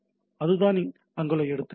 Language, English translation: Tamil, So, that is the examples on there